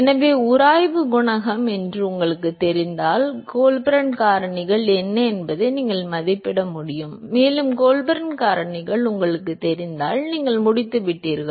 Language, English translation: Tamil, So, if you know the friction coefficient then you should be able to estimate what the Colburn factors are and once again if you know the Colburn factors you are done